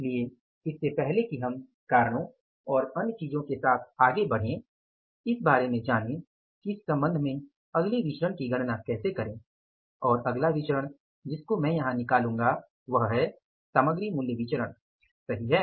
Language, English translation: Hindi, So, before we go ahead with the reasons and other things let us learn about how to calculate the other variances in this regard and the next variance which I will be doing here is that is the material price variance, right